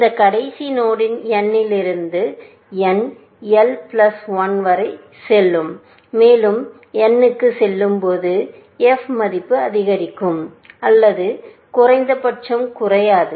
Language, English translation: Tamil, As we move from f of this last node n l to n l plus one, and so on to n, the f value will increase, or at least not decrease